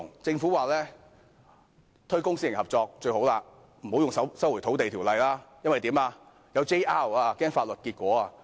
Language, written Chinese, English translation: Cantonese, 政府說推廣公私營合作是最好的，不要使用《收回土地條例》，怕有人會提出 JR， 擔心有法律結果。, The Government considers public - private partnership the best and that the Land Resumption Ordinance should not be invoked for fear of judicial reviews and the legal consequences